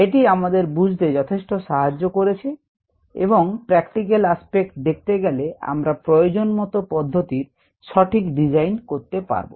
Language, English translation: Bengali, it also gives us a lot of insights, but the practical aspect is to be able to design appropriate processes